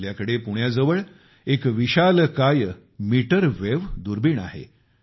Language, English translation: Marathi, We have a giant meterwave telescope near Pune